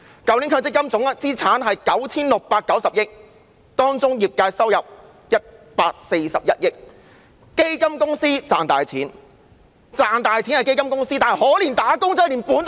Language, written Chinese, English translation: Cantonese, 去年強積金總資產是 9,690 億元，當中業界收入是141億元，基金公司賺大錢，但可憐"打工仔"連本金也要虧蝕。, Last year the total MPF assets stood at 969 billion among which 14.1 billion were incomes of the industry . The fund companies have earned huge profits but wage earners are so pathetic that they even suffer a loss in their contribution capital